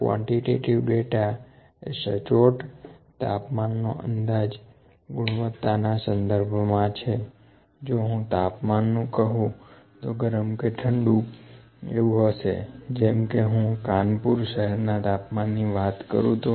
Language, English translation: Gujarati, The quantitative data is the exact temperature exploration in the qualitative way I would say I can say is just hot cold if I talk about the temperature of my city Kanpur here